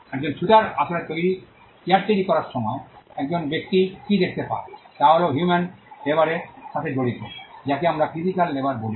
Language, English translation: Bengali, What a person gets to see when a carpenter is actually making a chair, is the fact that he is involved in human labor, what we call physical labor